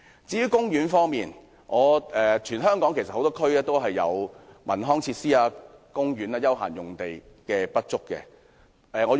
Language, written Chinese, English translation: Cantonese, 至於公園，全港多個地區也有文康設施、公園和休閒用地不足的情況。, As for parks there is a shortage of cultural and leisure facilities parks and open spaces in many districts over the territory